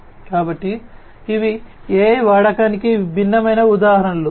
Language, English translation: Telugu, So, these are different examples of use of AI